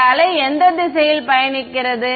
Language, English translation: Tamil, Which wave which direction is this wave traveling